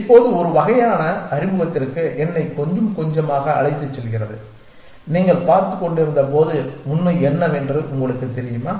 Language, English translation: Tamil, Now, this as sort of takes me back a little bit to the introduction that when you were looking at you know what is reality